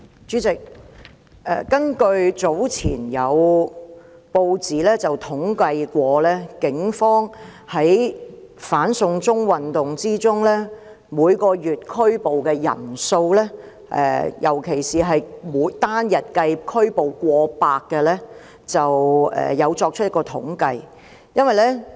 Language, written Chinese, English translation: Cantonese, 主席，早前有報章曾就警方在"反送中"運動中每月拘捕的人數，尤其是單日拘捕過百人的數字作出統計。, President it has been reported earlier in the press that the Police have compiled statistics on the numbers of people arrested in the anti - extradition to China movement each month especially the occasions on which more than 100 persons were arrested on a single day